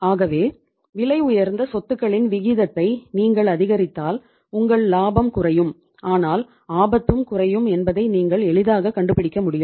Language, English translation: Tamil, So it means you can easily find out that if you increase the proportion of costly assets your profit will go down but risk will also go down